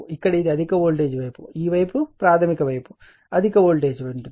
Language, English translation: Telugu, Here it is high voltage side just this is in this side your making primary side